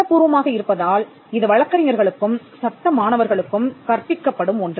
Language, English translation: Tamil, And being a legal subject, it is something that is taught to lawyers and law students